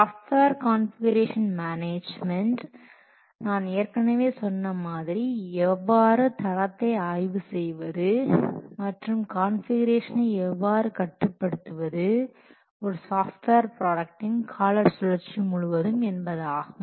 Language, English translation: Tamil, Software configuration management deals with, I have already told you, that software configuration management deals with effectively how to track and how to control the configuration of a software product during its entire lifecycle